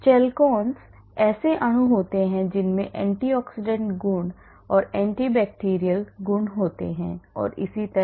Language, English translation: Hindi, Chalcones are molecules which have good antioxidant property anti bacterial property and so on